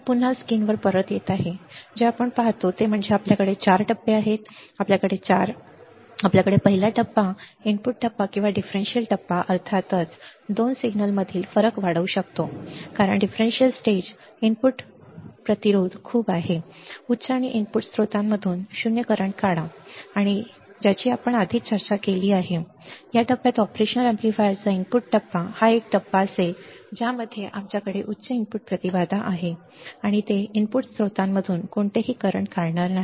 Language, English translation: Marathi, So, again coming back on the screen, what we see is that we have 4 stages, we have 4 stages and the first stage input stage or the differential stage can amplify difference between 2 signals of course, because the differential stage input resistance is very high and draw 0 current from input sources correct this is what we have already discussed earlier also that this; this stage the input stage of the operation amplifier would be a stage in which we have high input impedance and it would draw no current from the input sources